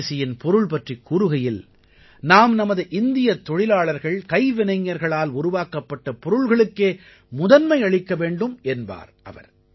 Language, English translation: Tamil, He also used to say that Swadeshi means that we give priority to the things made by our Indian workers and artisans